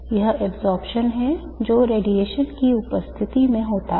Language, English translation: Hindi, This is absorption which takes place in the presence of radiation